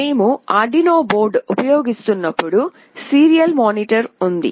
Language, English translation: Telugu, When we are using Arduino board there is a serial monitor